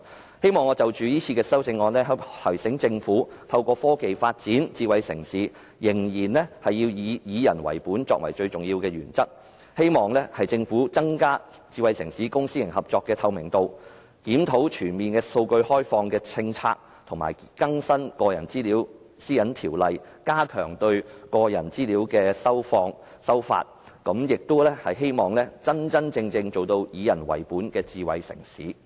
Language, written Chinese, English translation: Cantonese, 我希望藉這次的修正案提醒政府，透過科技發展智慧城市仍須以以人為本作為最重要的原則，希望政府增加智慧城市公私營合作的透明度、檢討全面開放數據的政策，以及更新《個人資料條例》，加強對個人資料的收發，亦希望香港能真真正正成為以人為本的智慧城市。, Through this amendment I wish to remind the Government that in developing a smart city through technology orientation towards people must still be the most important principle . I hope that the Government can enhance the transparency of smart city public - private partnership projects review the policy on comprehensively opening up data and update the Personal Data Privacy Ordinance to strengthen the regulation of personal data collection and provision and it is also hoped that Hong Kong can become a genuinely people - oriented smart city